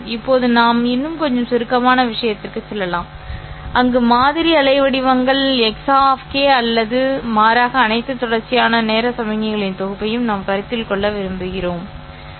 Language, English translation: Tamil, Now let us go into a slightly more abstract thing wherein we want to consider not the sampled waveforms, x of k, but rather a set of all continuous time signals